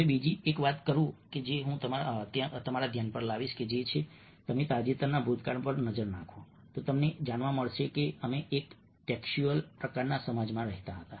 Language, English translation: Gujarati, now, another thing which i would bring to your notice is that if you are looking at the recent past, we find that we lived in a textual kind of a society, society which dominantly, predominantly, was text oriented